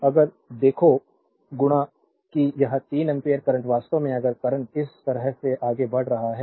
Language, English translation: Hindi, So, if you look into that this 3 ampere current actually if current is moving like this moving like this